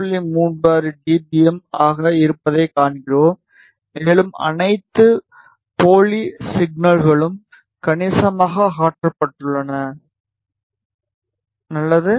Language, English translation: Tamil, 36 dBm and all the spurious signals have been removed substantially, good